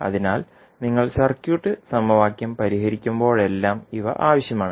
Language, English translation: Malayalam, So, these are required whenever you are solving the circuit equation